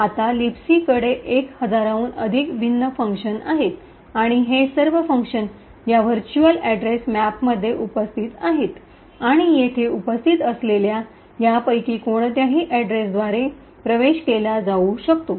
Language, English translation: Marathi, Now LibC has as I mentioned over a thousand different functions and all of this functions are present in this virtual address map and can be access by any of these addresses that are present over here